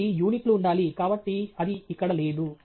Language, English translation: Telugu, So, there must be units; so, that is missing here